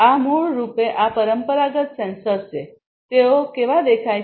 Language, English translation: Gujarati, This is basically these traditional sensors, how they look like